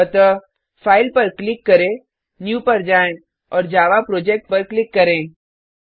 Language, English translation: Hindi, So click on File, go to New and click on Java Project